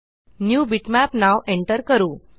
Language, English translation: Marathi, Lets enter the name NewBitmap